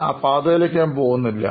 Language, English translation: Malayalam, I am not going down that path